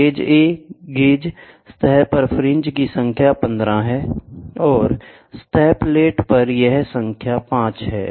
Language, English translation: Hindi, Gauge A, the number of fringes on the gauge surface is 15, and that on the surface plate is 5